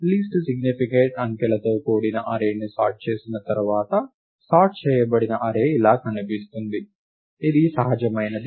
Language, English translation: Telugu, On sorting the array consisting of the least significant digits, the sorted array would look like this, which is natural